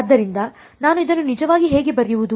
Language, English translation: Kannada, So, how do I actually write this